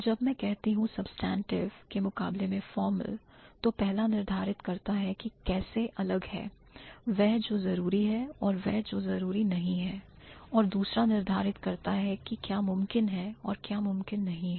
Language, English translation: Hindi, When I say substantive versus formal, the first or the former distinguishes what is necessary from what is unnecessary, the latter distinguishes between what is possible and what is impossible